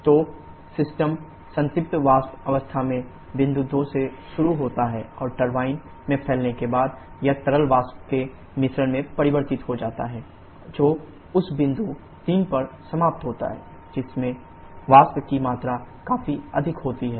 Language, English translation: Hindi, So the system start from point 2 at saturated vapour state and as it expands in the turbine when it gets converted to liquid paper mixture ending at which point 3 which is having significantly high vapour content